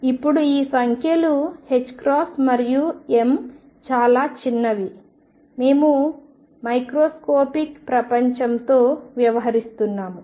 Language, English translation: Telugu, Now these numbers h cross and m are very small we are dealing with microscopic world